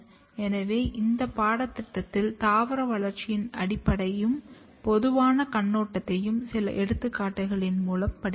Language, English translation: Tamil, So, in this course, we have studied basically general or overview of plant development taking some of the example